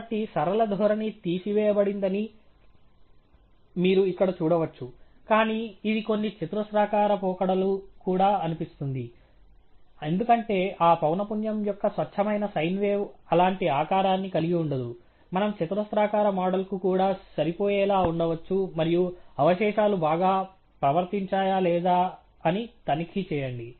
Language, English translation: Telugu, So, you can see here the linear trend as been taken off, but it seems to be some quadratic trends as well, because a pure sine wave of that frequency cannot have a shape like that; may be we can fit a quadratic model as well, and check if the residuals are much better behaved and so on